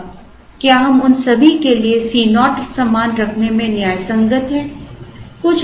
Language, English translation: Hindi, Now, are we justified in keeping C naught the same for all of them